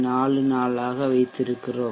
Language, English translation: Tamil, 44 we can change it to 0